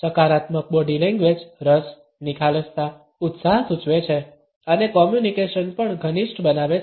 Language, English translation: Gujarati, A positive body language indicates interest, openness, enthusiasm and enhances the communication also